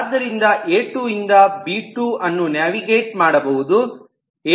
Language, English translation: Kannada, so it says that b2 is navigable from a2, so i can navigate them